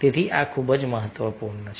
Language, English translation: Gujarati, so this is very, very important